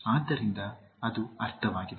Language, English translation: Kannada, So that is the meaning